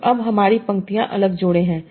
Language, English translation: Hindi, So now my rows are different pairs